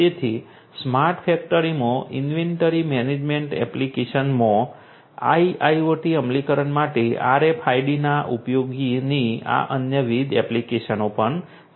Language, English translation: Gujarati, So, these are also the different other applications of use of RFIDs for IIoT implementation in an inventory management application in a smart factory